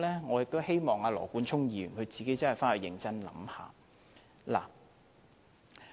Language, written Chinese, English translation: Cantonese, 我希望羅冠聰議員認真想想這邏輯。, I hope Mr Nathan LAW will seriously consider the logic of his statement